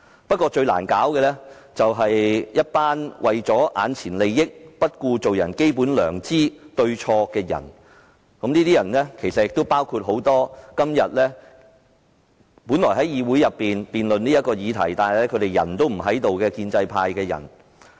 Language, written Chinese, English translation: Cantonese, 不過，現時最難處理的，是一群只顧眼前利益，不顧做人的基本良知對錯的人，而這些人當然包括很多本應留在議事廳辯論這個議題，但卻已離席的建制派議員。, At present the most difficult situation to deal with is that there are people who only care about immediate benefits and they have therefore cast aside the basic conscience of human beings to tell right from wrong . Among these people there are of course Members of the pro - establishment camp who should have stayed in this Chamber to discuss this subject but have all left